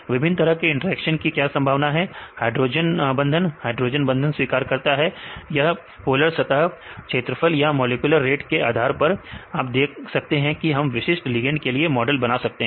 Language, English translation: Hindi, So, what are the possibility of the different types of interactions right, based on the hydrogen bond donors, hydrogen bond acceptors right or the polar surface area right or the molecular weight you can see how we can model this particular ligand